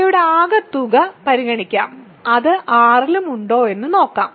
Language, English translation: Malayalam, So, let us consider their sum and see if it is also in R